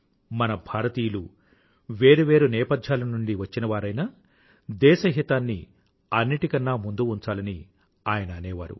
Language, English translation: Telugu, He also used to say that we, Indians may be from different background but, yes, we shall have to keep the national interest above all the other things